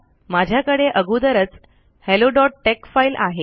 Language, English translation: Marathi, I already have the file hello.tex, load it